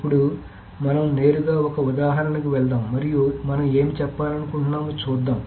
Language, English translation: Telugu, Now let us directly jump to an example and let us see what we are trying to say